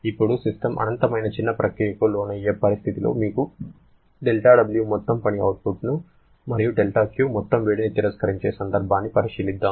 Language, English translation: Telugu, Now, let us consider situation where the system undergoes an infinitesimally small process during which it gives you del W amount of work output and del Q amount of heat is rejected system